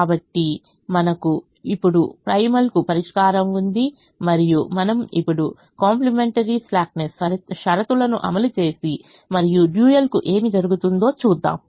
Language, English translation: Telugu, so we now have the solution to the primal and we now apply the complimentary slackness conditions and see what happens to the dual